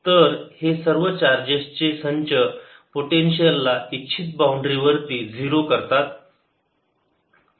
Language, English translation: Marathi, so all these set of charges make potential zero at the desire boundary